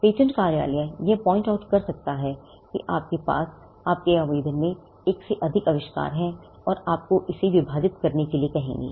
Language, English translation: Hindi, The point, the patent office may point out that you have, your application has more than one invention and ask you to divide it